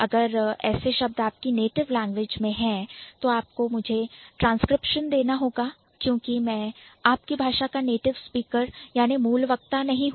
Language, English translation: Hindi, If it is in your language, you have to give me the transcription because I may not be a native speaker of your language